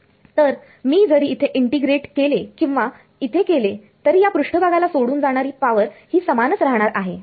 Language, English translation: Marathi, So, I whether I integrate here or here the power that is leaving the surface going to be the same